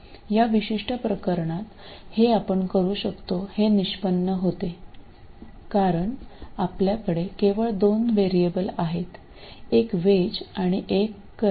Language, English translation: Marathi, In this particular case it turns out you can do it because you have only two variables, one voltage and one current